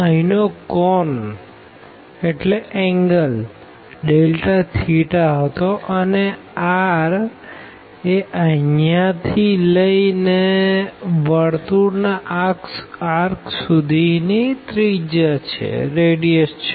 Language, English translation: Gujarati, Delta theta was the angle here and the r was the radius from this to this circular arc